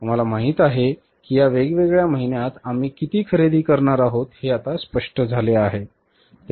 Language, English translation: Marathi, We know then how much we are going to purchase over these different months